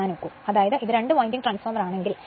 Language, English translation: Malayalam, Now for example, if I want it is a two winding transformer, then what I will what we will do